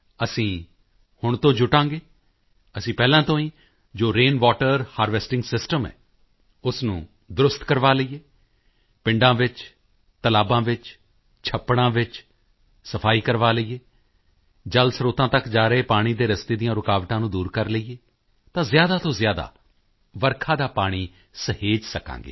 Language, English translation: Punjabi, We shall commit ourselves to the task right now…we shall get existing rain water harvesting systems repaired, clean up lakes and ponds in villages, remove impediments in the way of water flowing into water sources; thus we shall be able to conserve rainwater to the maximum